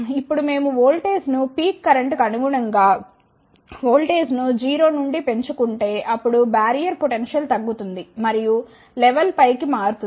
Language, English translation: Telugu, Now, if we increase the voltage from 0 to the voltage corresponding to the peak current, then the barrier potential will decrease and the level will shift up